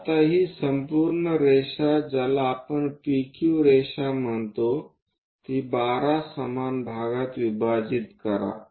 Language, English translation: Marathi, Now, divide this entire line which we call PQ line into 12 equal parts